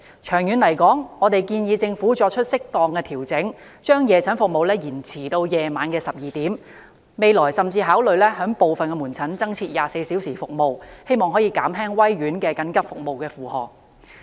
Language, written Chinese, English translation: Cantonese, 長遠而言，我們建議政府作出適當調整，把夜診服務延長至午夜12時，未來甚至考慮部分門診增設24小時服務，藉此減輕威爾斯親王醫院緊急服務的負荷。, In the long run we suggest that the Government should make appropriate adjustment and extend night clinic services to midnight . We also think that in the future there should be 24 - hour services in some outpatient clinics so as to reduce the pressure on PWHs emergency services